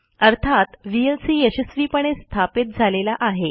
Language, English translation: Marathi, This means vlc has been successfully installed